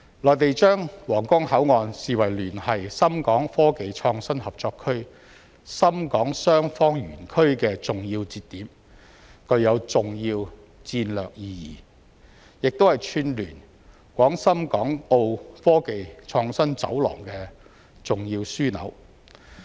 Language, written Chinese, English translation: Cantonese, 內地將皇崗口岸視為聯繫深港科技創新合作區深港雙方園區的重要節點，具有重要戰略意義，亦是串聯廣深港澳科技創新走廊的重要樞紐。, The Mainland regards the Huanggang Port as a key node in SITZ and HSITP of the Co - operation Zone which has strategic importance . It is an important hub in linking the Guangdong - Shenzhen - Hong Kong - Macao Innovative Technology Corridor